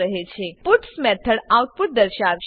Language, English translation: Gujarati, The puts method will display the output